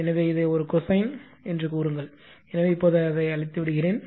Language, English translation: Tamil, So, we are representing this as a cosine thing right say cosine , So, now let me clear it